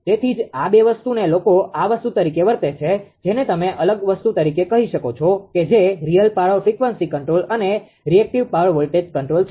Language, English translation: Gujarati, So, that is why these two are ah people are treating as a this thing your; what you call as a separate ah thing your real power frequency control and reactive power voltage control right